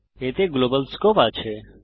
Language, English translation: Bengali, It has a global scope